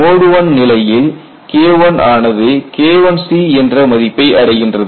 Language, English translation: Tamil, And in a mode one situation this value should go to the K1 should go to K1 c